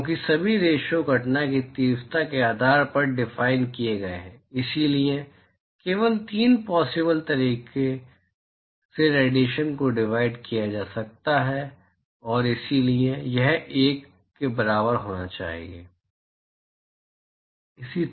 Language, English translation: Hindi, Because all the ratios are defined based on the incident intensity, so, the only three possible ways by which the irradiation can be split is these three modes and therefore, this should be equal to 1